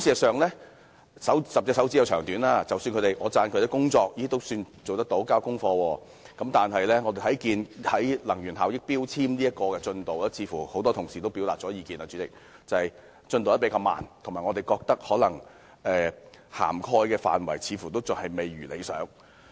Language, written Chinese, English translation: Cantonese, 常言道，"十隻手指有長短"，儘管我稱讚局方的工作做得尚算良好，有交功課，但在實施強制性能源效益標籤計劃方面，正如很多同事所說，則似乎進度較為緩慢，涵蓋範圍未如理想。, Despite my commendation of the Bureau for having done a fairly good job with some concrete achievements its implementation of the Mandatory Energy Efficiency Labelling Scheme MEELS seems to be progressing rather slowly and the coverage is far from satisfactory as many colleagues have pointed out Let us look back on the history of MEELS